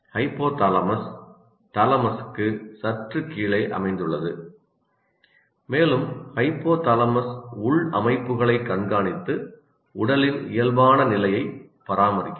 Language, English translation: Tamil, As we said, hypothalamus is located just below thalamus and hypothalamus monitors the internal systems to maintain the normal state of the body